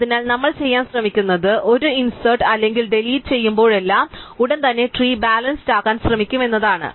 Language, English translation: Malayalam, So, what we will end up to do what we will try to do is that whenever we do an insert or a delete we will immediately try to rebalance the tree